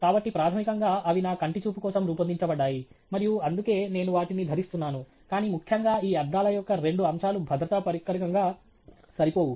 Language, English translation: Telugu, So, basically, they have been designed for my eyesight and that is why I am wearing them, but the most importantÉ there are two aspects of this glass which makes it inadequate as a safety device